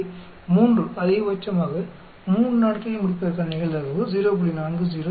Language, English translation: Tamil, So, the probability of finishing it in 3 at most in 3 days is 0